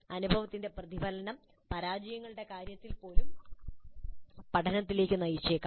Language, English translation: Malayalam, So reflection on the experience could really lead to learning even in the case of failures